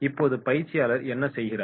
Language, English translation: Tamil, Now what trainer does